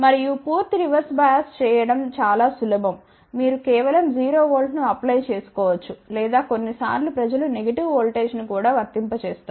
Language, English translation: Telugu, And, complete reverse bias is very simple you can just apply 0 volt or sometimes people do apply negative voltage also